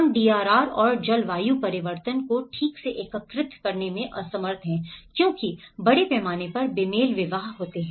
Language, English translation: Hindi, Why we are unable to integrate, properly integrate the DRR and the climate change adaptation because there are scale mismatches